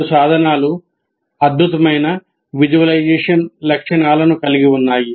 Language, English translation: Telugu, And both the tools have excellent visualization features